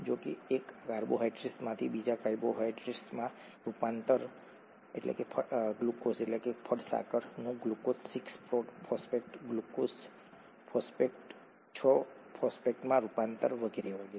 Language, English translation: Gujarati, However, the conversion from one carbohydrate to another, glucose to glucose 6 phosphate, glucose 6 phosphate to fructose 6 phosphate and so on so forth